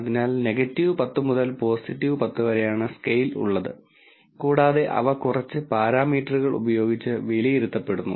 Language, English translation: Malayalam, So, from minus 10 to plus 10 is the scale and they are being evaluated on a few parameters